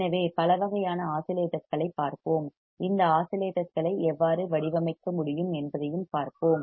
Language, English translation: Tamil, So, let us see kinds of oscillate and how we can design this oscillator